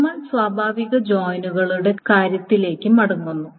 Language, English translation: Malayalam, Now for we come back to the case of natural joints